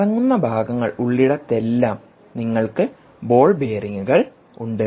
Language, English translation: Malayalam, wherever there are rotating parts, you have ball bearings